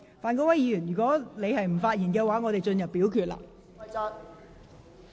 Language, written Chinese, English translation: Cantonese, 范國威議員，如你不想發言，本會便進入表決階段。, Mr Gary FAN if you do not wish to speak Committee will proceed to the voting stage